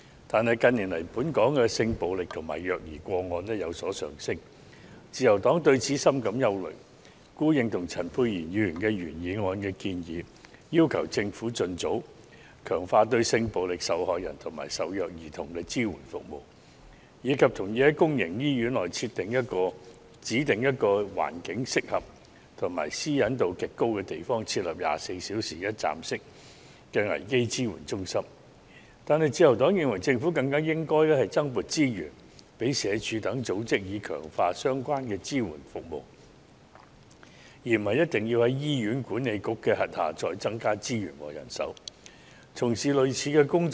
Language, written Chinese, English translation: Cantonese, 但是，近年來本港的性暴力和虐兒個案卻有所上升，自由黨對此深感憂慮，故認同陳沛然議員的原議案建議，要求政府盡早強化對性暴力受害人及受虐兒童的支援服務，以及同意在公營醫院內指定一個環境適合及私隱度極高的地方設立24小時一站式的危機支援中心，但自由黨認為政府更應該增撥資源予社會福利署等機構，以強化相關的支援服務，而不一定要在醫院管理局轄下再增加資源和人手，從事類似的工作。, The Liberal Party is deeply concerned about the situation . Therefore we agree with Dr Pierre CHANs original motion that the Government should enhance the supporting service to sex violence and child abuse victims as soon as possible and to set up a 24 - hour one - stop crisis support centre at designated and suitable places with high privacy protection in all public hospitals . However the Liberal Party considers that the Government should allocate additional resources to the Social Welfare Department SWD and similar institutions to strengthen the support services as it may not be necessary to allocate additional resources and manpower to the Hospital Authority to engage in similar tasks